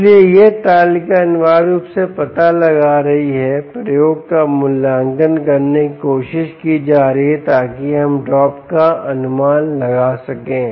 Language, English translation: Hindi, so this table is essentially finding out, is trying to evaluate the experiment, can be done in order, in a manner that we can estimate the drop